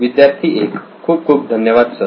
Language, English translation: Marathi, Thank you very much Sir